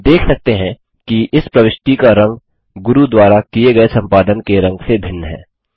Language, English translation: Hindi, We can see that the colour of this insertion is different from the colour of the edits done by Guru